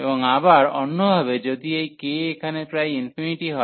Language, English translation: Bengali, And again in the other way around if this k is infinity here